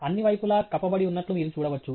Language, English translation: Telugu, You can see the sides are covered okay